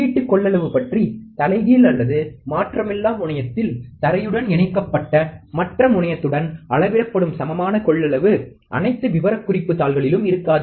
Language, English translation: Tamil, About the input capacitance, the equivalent capacitance measured at either the inverting or non interval terminal with the other terminal connected to ground, may not be on all specification sheets